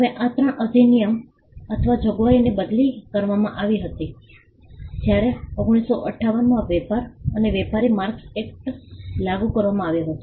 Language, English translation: Gujarati, Now, all these 3 acts or provisions were replaced when the trade and merchandise marks act was enacted in 1958